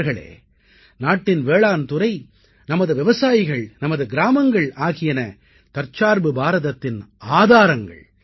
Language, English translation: Tamil, Friends, the agricultural sector of the country, our farmers, our villages are the very basis of Atmanirbhar Bharat, a self reliant India